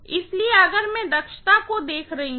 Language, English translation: Hindi, So, if I am looking at efficiency, right